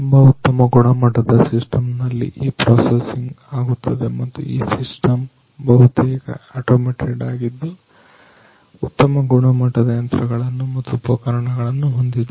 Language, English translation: Kannada, And this processing happens through a very sophisticated system and this system is to a large extent an automated system with high end machinery and instruments ah